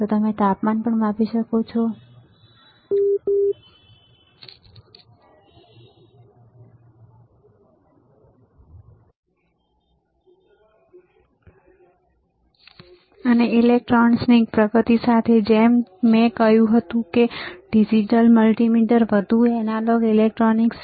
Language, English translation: Gujarati, you can also measure temperature, and with advancement of electronics like I said that, there is more analog electronics in a in a digital multimeter